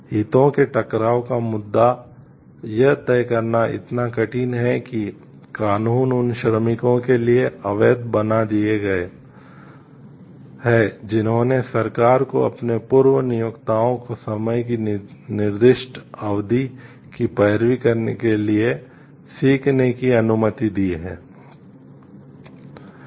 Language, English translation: Hindi, The issue of the conflict of interest is so hard to decide that laws have been enacted making it illegal for workers who have let the government employ to learn to lobby their former employers for specified period of time